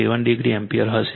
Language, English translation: Gujarati, 7 degree ampere right